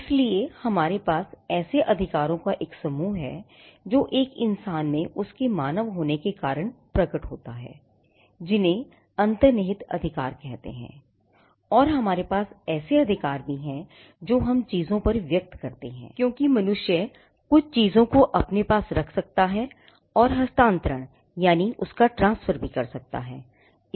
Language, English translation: Hindi, So, we have a set of rights that manifest in a human being because of his character of being a human being those who are what we call inherent rights and we also have rights that express on things because human beings can possess own transfer things